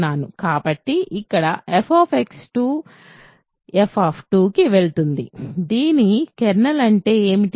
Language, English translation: Telugu, So, here f x goes to f of 2, what is a kernel of this